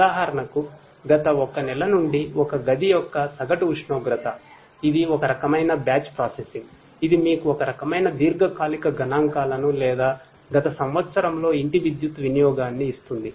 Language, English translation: Telugu, For example, you know the average temperature of a room for the last one month that is some kind of batch processing which will give you some kind of long term statistics or the power usage of a house in the last year